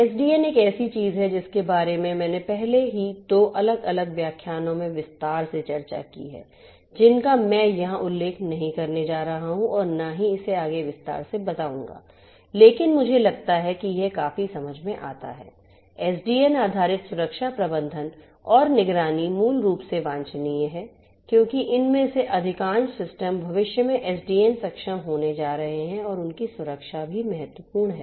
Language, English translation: Hindi, SDN is something that I have already discussed in detail in two different lectures I am not going to mention or elaborate it further over here, but I think this is quite understandable, SDN based security management and monitoring is basically what is desirable because most of these systems are going to be in the future SDN enabled and their security is also of importance